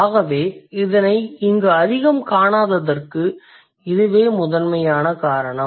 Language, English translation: Tamil, So, that's primarily the region why we don't see much of it over here